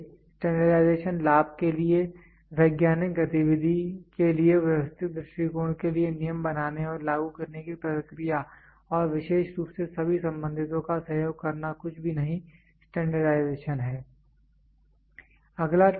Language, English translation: Hindi, Standardization: the process of formulating and applying rules for orderly approach to a scientific activity for the benefit and with the cooperation of all the concerned in particular is nothing, but standardization